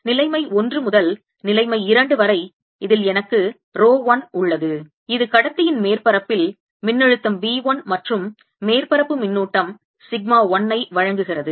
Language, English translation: Tamil, so, from situation one to situation two, i have rho one in this, which gives me potential v one, and surface charge sigma one on the surface of the conductor